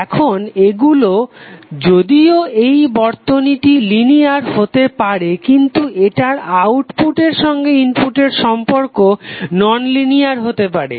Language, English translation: Bengali, So now these, although this circuit may be linear but its input output relationship may become nonlinear